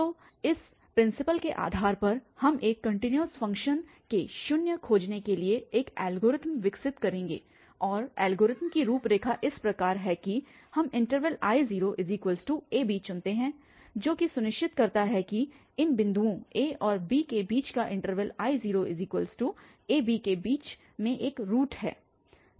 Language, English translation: Hindi, So, based on this principal we will develop an algorithm to find zeros of a continuous function and the outline of the algorithm is as follows that we choose the interval I naught that is the whole interval ab which makes sure that there is a root between these between the points a and b or in the interval a, b